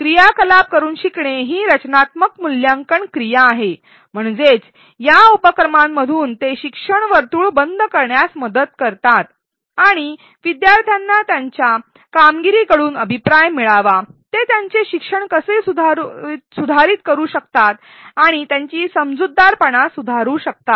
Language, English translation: Marathi, Learning by doing activities are formative assessment activities; that means, they help to close the learning loop and learners should get feedback from their performance on their performance in these activities on how they can revise their learning and improve their understanding